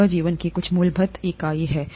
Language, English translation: Hindi, This is some fundamental unit of life itself